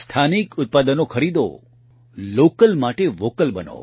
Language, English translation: Gujarati, Buy local products, be Vocal for Local